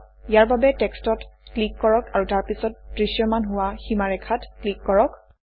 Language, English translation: Assamese, To do this, click on the text and then click on the border which appears